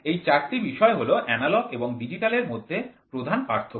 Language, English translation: Bengali, These four are primary points to distinguish analogous and digital